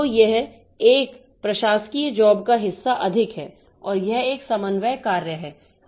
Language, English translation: Hindi, So, this is more of a administrative job and it is a coordination job